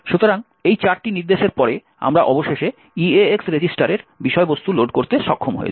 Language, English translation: Bengali, So, after these four instructions we are finally been able to load the contents of the EAX register